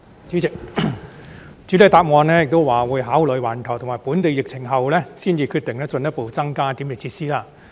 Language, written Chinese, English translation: Cantonese, 主席，主體答覆表示會考慮環球及本地疫情後，才決定進一步增加檢疫設施。, President the Secretary stated in the main reply that the Government would only consider the need for further increasing the number of DQFs having regard to the worldwide and local epidemic situation